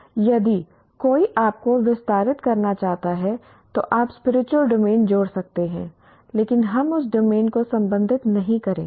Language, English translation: Hindi, So if one wants to extend, you can add the spiritual domain, but we are not going to address that domain at all